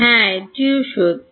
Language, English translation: Bengali, Yeah that is also true